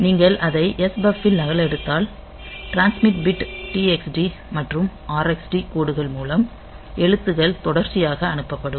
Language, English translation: Tamil, So, if you copy it into S buff then the character will be sent serially through the transmit bit and TXD and RXD lines